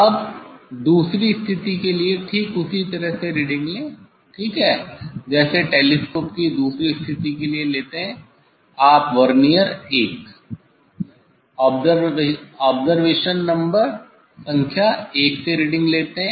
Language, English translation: Hindi, Now, take the reading taking reading in same way for the second position ok, for the second position of the telescope you take the reading from Vernier 1 observation number 1